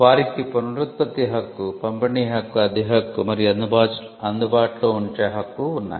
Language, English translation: Telugu, They have the right of reproduction, right of distribution, right of rental and right of making available